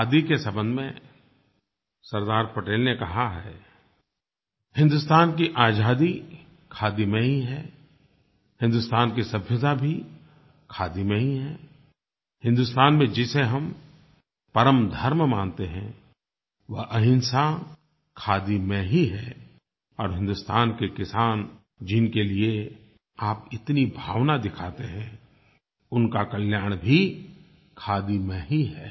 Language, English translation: Hindi, With regards to khadi, Sardar Patel said, "the freedom of India lies in khadi, India's culture also remains in khadi; nonviolence, the ultimate religion that we believe in India, is also in khadi; and the farmers of India for whom you show so much of emotion, their welfare too lies in khadi"